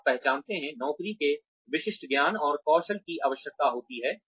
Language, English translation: Hindi, You identify, the specific knowledge and skills of the job, requires